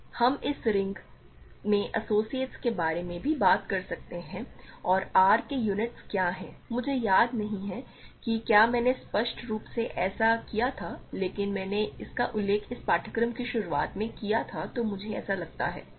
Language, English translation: Hindi, So, we can also talk about associates in this ring and what are units of R, I do not recall if I explicitly did this, but I mentioned this I think sometime in the beginning of this course